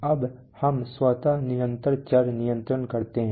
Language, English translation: Hindi, Now let us automatic continuous variable control